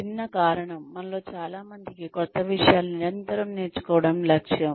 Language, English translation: Telugu, For the simple reason that, many of us have, this goal of constantly learning new things